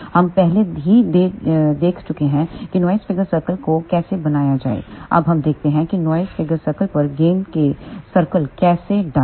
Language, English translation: Hindi, We have already seen how to draw the noise figure circles now let us see how do we put gain circles over noise figure circle